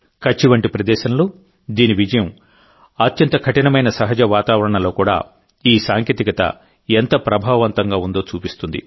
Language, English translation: Telugu, Its success in a place like Kutch shows how effective this technology is, even in the toughest of natural environments